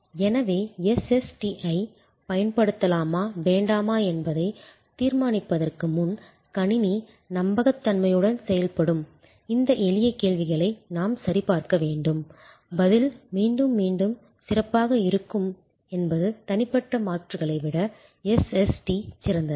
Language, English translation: Tamil, Before therefore, deciding on whether to deploy or not deploy SST we should check on these simple questions that does the system work reliably is the response going to be again and again repetitively good is the SST better than interpersonal alternatives